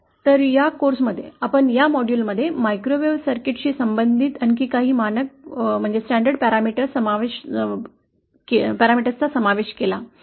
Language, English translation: Marathi, So in this course, in this module, we covered some of the more standard parameters associated with microwave circuits